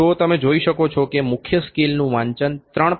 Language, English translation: Gujarati, So, you can see and the main scale the reading is more than 3